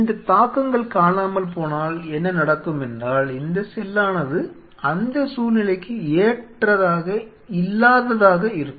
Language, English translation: Tamil, And if these influences are missing then what will happen is this cell will be de adapting to that situation